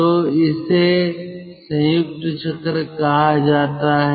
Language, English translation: Hindi, so this is called combined cycle